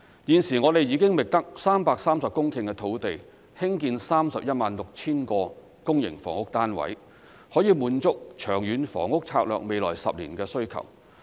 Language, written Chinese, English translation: Cantonese, 現時，我們已覓得330公頃土地興建 316,000 個公營房屋單位，可以滿足《長遠房屋策略》未來10年的需求。, At present we have identified 330 hectares of land for the construction of 316 000 public housing units to satisfy the demand for public housing under the Long Term Housing Strategy in the next 10 years